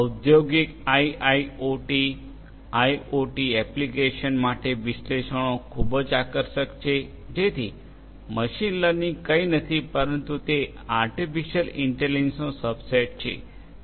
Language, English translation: Gujarati, Analytics very attractive for IIoT industrial, IoT applications; so, machine learning is nothing, but it is a subset of artificial intelligence